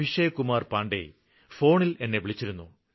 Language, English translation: Malayalam, I am Abhishek Kumar Pandey calling from Gorakhpur